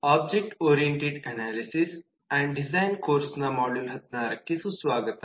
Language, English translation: Kannada, welcome to module 16 of object oriented analysis and design